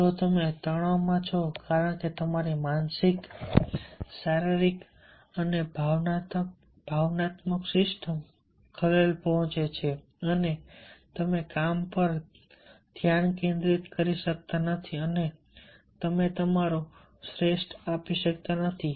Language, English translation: Gujarati, if you are suffering in stress because your mental, physical and emotion system is disturbed and you cannot concentrate on the job and give your best